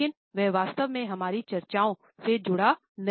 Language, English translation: Hindi, But this is not exactly concerned with our discussions